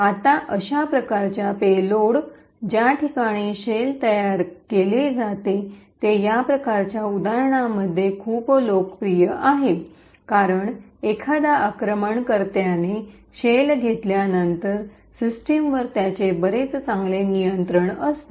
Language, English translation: Marathi, Now, such payloads where a shell is created is very popular in this kind of examples because once an attacker has a shell, he has quite a better control on the system